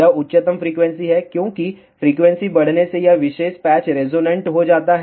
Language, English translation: Hindi, This is the highest frequency as frequency increases this particular patch becomes resonant